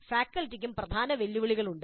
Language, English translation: Malayalam, And there are key challenges for faculty also